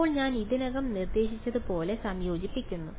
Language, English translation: Malayalam, And now as already been suggested I integrate right